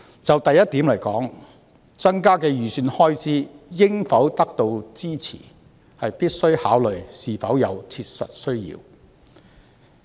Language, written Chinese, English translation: Cantonese, 就第一點來說，預算開支增加應否獲得支持，必須考慮是否有切實需要。, With regard to the first point whether or not an increase in the estimated expenditure should be supported consideration should be given to the genuine needs